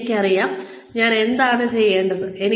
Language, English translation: Malayalam, I know, what I am supposed to do